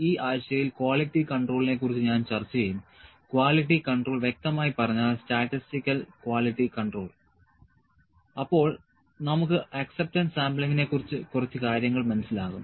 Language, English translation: Malayalam, In this week, I will discuss about the quality control quality control as specifically statistical quality control then, we will have some light on acceptance sampling